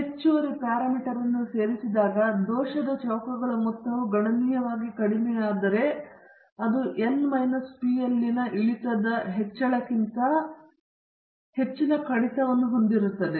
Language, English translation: Kannada, When you add the additional parameter, if the sum of the squares of error comes down considerably then that would have a greater reduction than the increase caused by decrease in n minus p